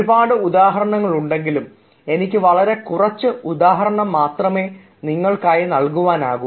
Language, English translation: Malayalam, there are several examples and i i can only give you some examples